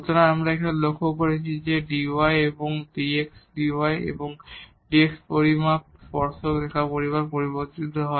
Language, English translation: Bengali, So, we have also noted here that dy and dx dy and this dx measure changes along the tangent line